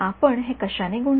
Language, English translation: Marathi, We multiplied this by what